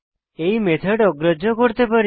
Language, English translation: Bengali, We can override these methods